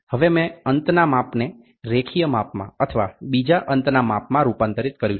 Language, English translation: Gujarati, Now I have converted an end measurement into a linear measurement or an end another end measurement